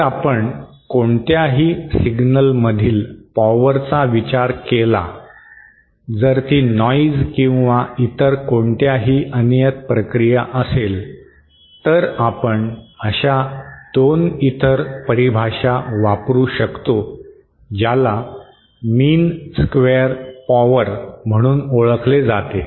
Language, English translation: Marathi, If we consider a power content in any signal whether it is noise or any other random process, then 2 other definitions that we can use is what is known as mean square power